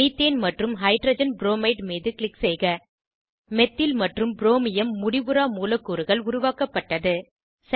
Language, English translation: Tamil, Click on Methane and Hydrogen bromide Methyl and Bromium free radicals are formed